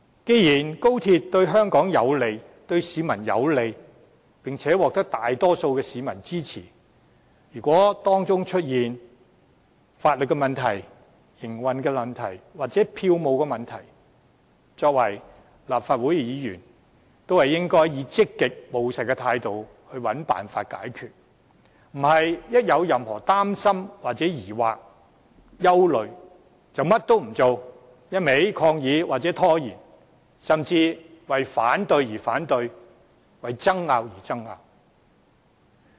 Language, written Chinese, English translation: Cantonese, 既然高鐵對香港和市民有利，並獲大多數市民支持，如果當中出現法律、營運或票務問題，作為立法會議員，我們應當以積極務實的態度尋求解決辦法，而非一旦感到任何擔心、疑惑或憂慮，便甚麼也不做，只管抗議或拖延，甚至為反對而反對、為爭拗而爭拗。, Since the high - speed rail project is beneficial to both Hong Kong and its people with the majority of the public behind it we as Members of the Legislative Council should adopt a proactive and pragmatic approach in finding solutions to the legal operational or ticketing problems that may arise instead of being paralysed by concerns doubts or worries and doing nothing but protesting or stalling or worse opposing for the sake of opposition and arguing for the sake of argument